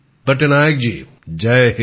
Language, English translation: Bengali, Patnaik ji, Jai Hind